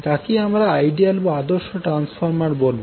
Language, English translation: Bengali, Now what is ideal transformer